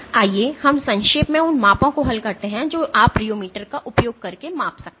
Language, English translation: Hindi, So, let us briefly go through solve the measurements that in you can measure using a rheometer